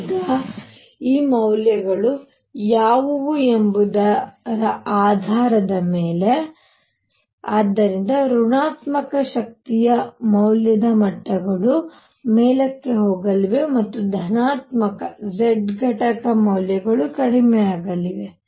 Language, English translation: Kannada, Now depending on what these values are, so negative energy value levels are going to move up and positive z component values are going to come down